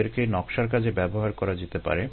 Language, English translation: Bengali, these can be used for design purposes and ah